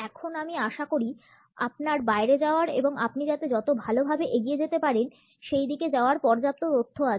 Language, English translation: Bengali, Now, I hope you have enough information to go out and put your best foot forward